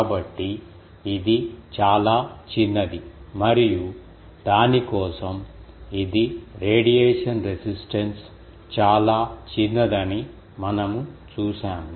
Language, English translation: Telugu, So, it is very small and for that we have seen that it is radiation resistance is very very small